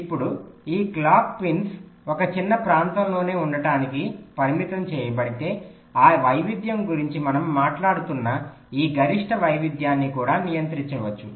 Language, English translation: Telugu, now, if this clock pins are constrained to be located within a small region, then this maximum variation that we are talking about, that variation can also be controlled